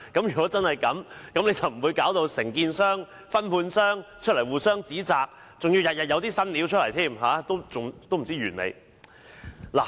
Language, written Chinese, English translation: Cantonese, 如果真的是這樣，承建商和分判商便不會出來互相指責，還要天天有"新料"，不知何時完結。, Had that been the case the contractor and subcontractors would not have publicly reproached each other and we would not have seen new details emerging every day . I wonder when the whole saga will come to an end